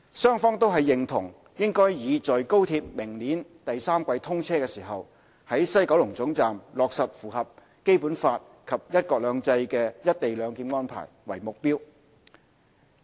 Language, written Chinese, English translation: Cantonese, 雙方均認同應以在高鐵明年第三季通車時，於西九龍總站落實符合《基本法》及"一國兩制"的"一地兩檢"安排為目標。, Both sides agree that the target should be to implement a co - location arrangement at the WKT that complies with both the Basic Law and the principle of one country two systems when the XRL commences operation by the third quarter of next year